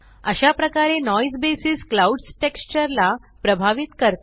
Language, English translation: Marathi, So this is how Noise basis affects the clouds texture